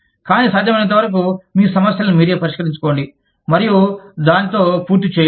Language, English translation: Telugu, But, as far as possible, just deal with your problems, and be done with it